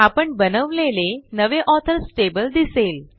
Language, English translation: Marathi, There is the new Authors table we just created